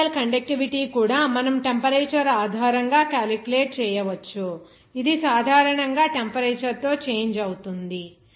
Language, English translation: Telugu, Electrolytic conductivity also you can calculate based on the temperature, it is generally changed with respect to temperature